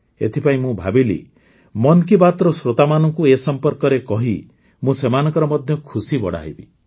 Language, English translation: Odia, So I thought, by telling this to the listeners of 'Mann Ki Baat', I should make them happy too